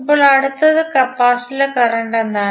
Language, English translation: Malayalam, Now, next is what is the current flowing in the capacitor